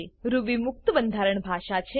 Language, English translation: Gujarati, Ruby is free format language